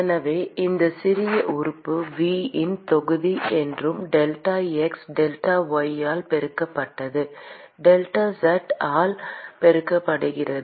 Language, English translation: Tamil, So, the volume of this small element v is nothing delta x multiplied by delta y multiplied by delta z